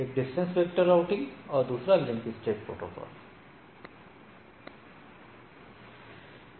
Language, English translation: Hindi, One is distance vector, another is link state protocol